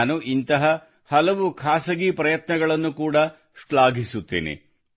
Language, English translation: Kannada, I also appreciate all such individual efforts